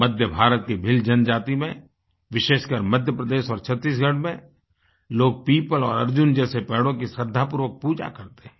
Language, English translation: Hindi, The Bhil tribes of Central India and specially those in Madhya Pradesh and Chhattisgarh worship Peepal and Arjun trees religiously